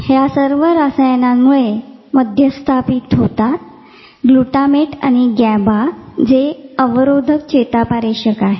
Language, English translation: Marathi, So, all this is mediated through chemical gating, glutamate and gaba which is the inhibitory part